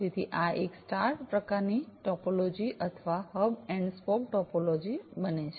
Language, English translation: Gujarati, So, this becomes a star kind of topology or a hub and spoke topology